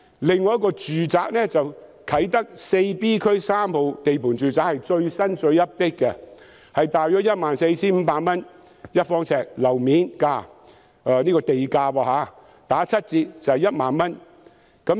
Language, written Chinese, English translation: Cantonese, 另一幅用地是啟德第 4B 區3號地盤住宅用地，是最新、最 update 的，地價大約是每呎 14,500 元，七折後是1萬元。, Another site is a residential site at Site 3 Area 4B Kai Tak . It is the latest and most up - to - date . The land price is about 14,500 per sq ft